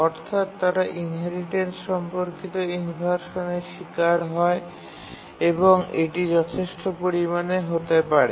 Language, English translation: Bengali, They suffer inheritance related inversion and that can be substantial